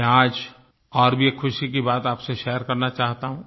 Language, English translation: Hindi, I also want to share another bright news with you